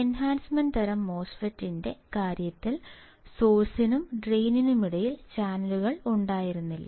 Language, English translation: Malayalam, So, in the case of enhancement type MOSFET, the channels were not present between source and drain